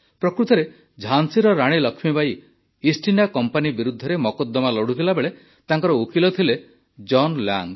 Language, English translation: Odia, Actually, when the Queen of Jhansi Laxmibai was fighting a legal battle against the East India Company, her lawyer was John Lang